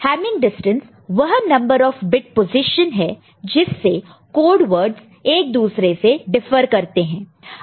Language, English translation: Hindi, So, hamming distance is the number of bit positions by which code words differ from one another, ok